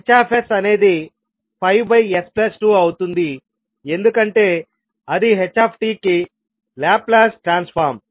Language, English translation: Telugu, Hs can become five upon s plus two because it is Laplace transform of ht